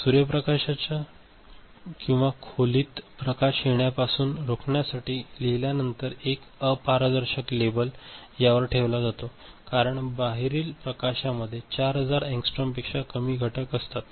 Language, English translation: Marathi, After writing an opaque label is put over here to prevent sunlight or room light coming in other because those light has components which is less than 4000 angstrom